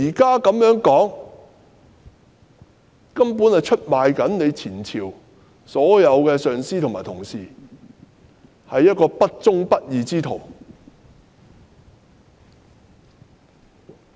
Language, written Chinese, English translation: Cantonese, 她的說法出賣了前朝的所有上司及同事，她是一個不忠不義之徒。, Her words have betrayed all her former superiors and colleagues . She is a person without any sense of loyalty and righteousness